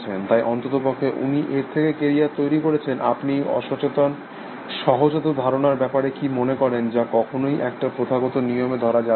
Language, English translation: Bengali, So, at least he is made a carrier out of it, what you think about these unconscious instincts that can never be captured in formal rules